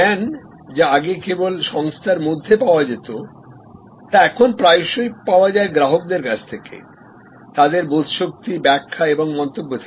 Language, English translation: Bengali, So, knowledge that was earlier only available within the organization is now often put out for understanding and interpretation and comments from the customer